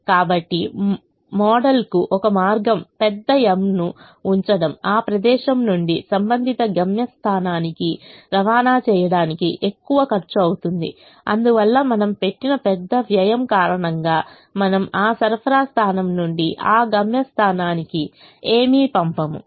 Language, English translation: Telugu, so one of the ways to model is to put a big m, a large cost of transporting from that place to the corresponding destination, so that because of the large cost that we have put in, we will not send anything from that supply point to that destination point